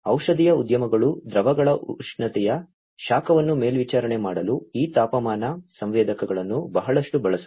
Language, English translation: Kannada, Pharmaceutical industries also use a lot of these temperature sensors for monitoring the heat of the temperature of the liquids